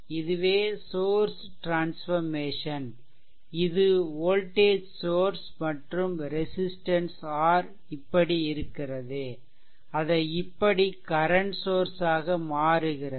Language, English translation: Tamil, So, that means, this is the source transformation that means, from the your if you have a voltage source and resistance R like this, you can convert it into the current source right